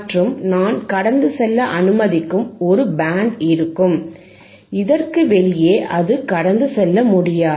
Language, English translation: Tamil, I have a band which allowing to pass, outside this it cannot pass